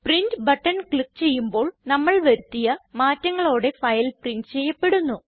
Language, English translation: Malayalam, If you click on Print button, the file will be printed with the changes made